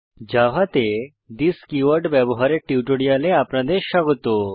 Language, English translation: Bengali, Welcome to the Spoken Tutorial on using this keyword in java